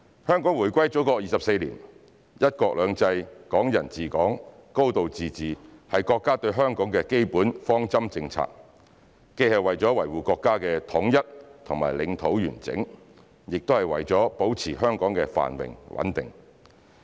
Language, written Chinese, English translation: Cantonese, 香港回歸祖國24年，"一國兩制"、"港人治港"、"高度自治"是國家對香港的基本方針政策，既是為了維護國家的統一和領土完整，也是為了保持香港的繁榮穩定。, It has been 24 years since Hong Kongs return to the Motherland . One country two systems Hong Kong people administering Hong Kong and a high degree of autonomy are the basic policies of the country regarding Hong Kong to uphold national unity and territorial integrity as well as maintaining the prosperity and stability of Hong Kong